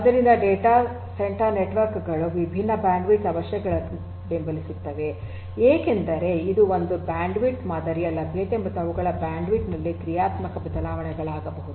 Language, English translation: Kannada, So, data centre networks support different bandwidth requirements are there, there could be because it is a network you know there could be dynamic changes in the bandwidth pattern availability of their bandwidth and so on